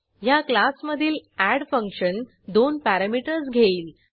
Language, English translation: Marathi, The add function of this class takes two parameters